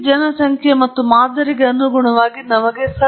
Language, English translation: Kannada, Corresponding to this population and sample we have a truth and an estimate